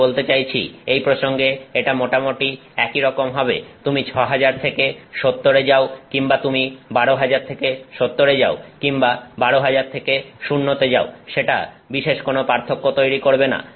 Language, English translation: Bengali, I mean in this context I mean it is going to be roughly the same whether you go from 6,000 to 70 or you go I mean you whether you go from 12,000 to 70 or you go to 12,000 to 0 does not make a big difference